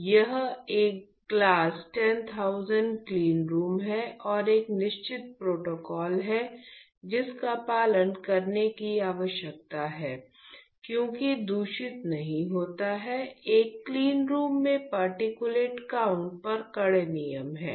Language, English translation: Hindi, So, where I am standing today is a class 10000 cleanroom and there is a certain protocol which needs to be followed, mainly because you do not want to contaminate like I said there is stringent rules on the particulate count in a cleanroom